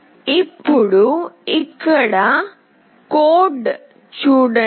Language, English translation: Telugu, Now, see the code here